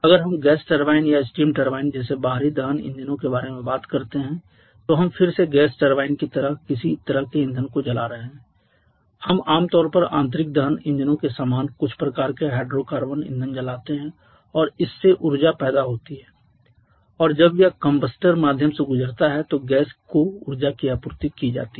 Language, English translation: Hindi, If we talked about the external combustion engines like the gas turbine or steam turbine they are again we are burning some kind of feel like in gas turbine we generally burn some kind of hydrocarbon fuels quite similar to the internal combustion engines and that produces energy and that energy is supplied to the heat when it passes to the supplied to the gas when it passes to the combustor